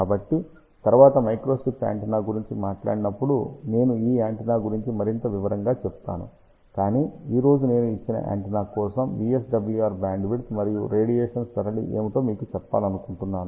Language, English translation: Telugu, So, when we talk about microstrip antenna later on I will talk about this antenna in more detail, but today I just want to tell you what are the VSWR bandwidth and radiation pattern for a given antenna